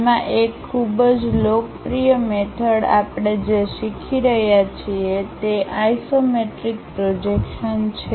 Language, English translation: Gujarati, In that a very popular method what we are learning is isometric projections